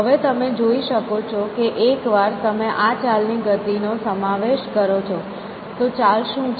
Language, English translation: Gujarati, Now, you can see, that the once you incorporate this motion of a move, what is the move